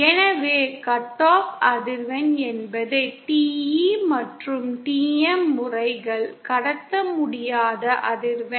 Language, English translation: Tamil, So cut of frequency is the frequency below which the TE and TM modes cannot transmit